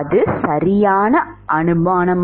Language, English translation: Tamil, Is that a correct assumption